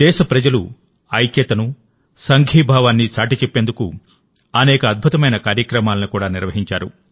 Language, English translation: Telugu, The people of the country also organized many amazing events to celebrate unity and togetherness